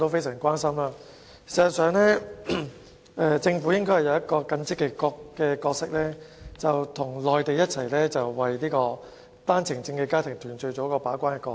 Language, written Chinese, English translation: Cantonese, 事實上，政府應該擔當一個更積極的角色，與內地政府一起為單程證家庭團聚做好把關工作。, As a matter of fact regarding the processing of OWP applications for family reunion purpose the Government should together with the Mainland authorities play a more proactive role in performing its gate - keeping function